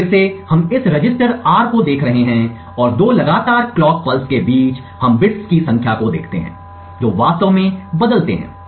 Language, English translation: Hindi, So again we are looking at this register R and between two consecutive clock pulses we look at the number of bits that actually change